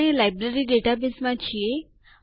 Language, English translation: Gujarati, We are in the Library database